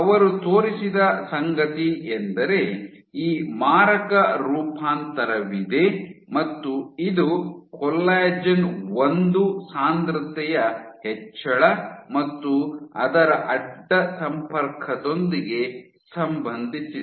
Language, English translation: Kannada, So, and what they showed, so just you have this malignant transformation, it was associated with increase in col 1, collagen one density and its cross linking